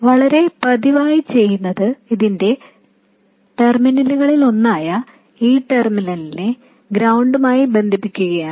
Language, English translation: Malayalam, Very frequently what happens is that one of the terminals of this, this terminal has to be connected to ground